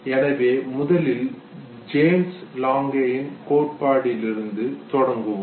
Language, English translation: Tamil, So let us first begin with James Lange Theory, okay